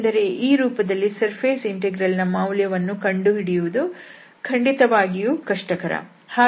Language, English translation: Kannada, Because in this form the surface integral, the evaluation is certainly difficult